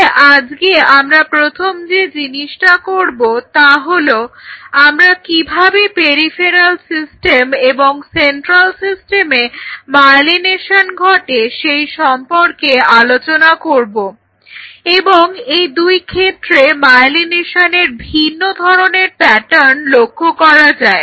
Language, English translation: Bengali, So, today the first thing we will do we will talk about how the myelination happens in the peripheral system as well as in the central system and they have a very different pattern of myelination